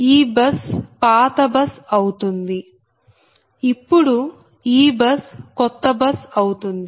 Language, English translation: Telugu, now this bus is a new bus, so and you are from an old bus to a new bus